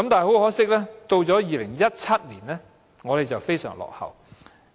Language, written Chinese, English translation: Cantonese, 可惜，到了2017年，我們成為非常落後的地方。, Regrettably by 2017 we will have become most backward in this respect